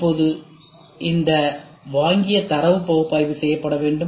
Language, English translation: Tamil, So, now, this acquired data has to be we have to do analysis